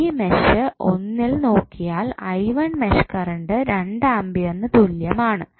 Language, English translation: Malayalam, If you see mesh one the value of mesh current is i 1 is equal to 2 ampere